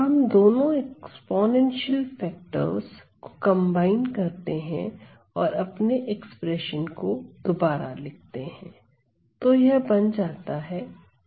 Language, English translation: Hindi, So, let us now combine these exponential factors and rewrite our expressions